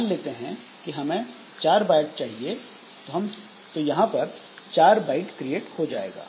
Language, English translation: Hindi, So, this 4 bytes will be created